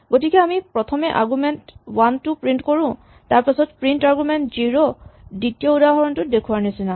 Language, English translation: Assamese, So, we could first print argument 1 and then print argument 0 as the second example shows